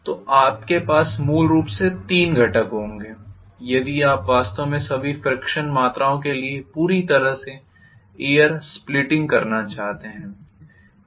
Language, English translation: Hindi, So you will have essentially there are three components if you want to really do the air splitting completely for all the frictional quantities, right, okay